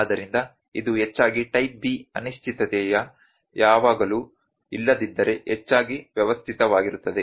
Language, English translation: Kannada, So, this are mostly type B uncertainty are mostly systematic if not always